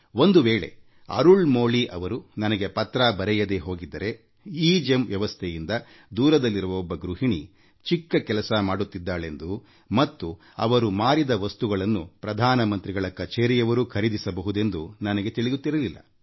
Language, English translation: Kannada, Had Arulmozhi not written to me I wouldn't have realised that because of EGEM, a housewife living far away and running a small business can have the items on her inventory purchased directly by the Prime Minister's Office